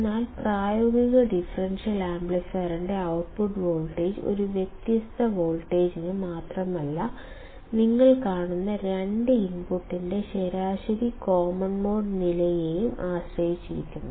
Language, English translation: Malayalam, But the output voltage of the practical differential amplifier not only depends on a difference voltage, but also depends on the average common mode level of two inputs you see